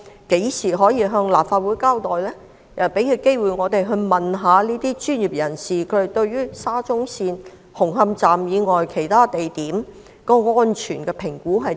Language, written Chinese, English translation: Cantonese, 何時可以向立法會交代，讓我們有機會詢問專業人士對沙中線紅磡站以外其他地點的安全評估為何？, When will it give an account to the Legislative Council so that we may have the opportunity to ask the professionals about their safety assessment of stations other than Hung Hom Station of SCL?